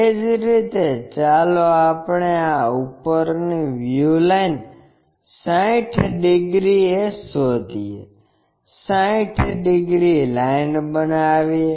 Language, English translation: Gujarati, Similarly, let us locate this top view line 60 degrees, make 60 degrees line